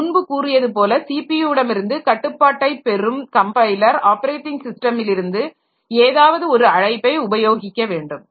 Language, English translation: Tamil, As I already said the compiler to get control of the CPU, so it has to use some call from the operating system